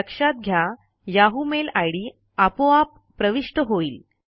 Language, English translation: Marathi, Notice that the yahoo mail id is automatically filled